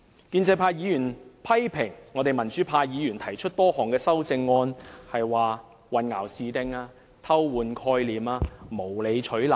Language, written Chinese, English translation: Cantonese, 建制派議員批評我們民主派議員提出多項修正案是混淆視聽、偷換概念及無理取鬧。, It is okay for pro - establishment Members to express their personal views and criticize democratic Members for proposing vexatious amendments in order to substitute concepts and confuse the public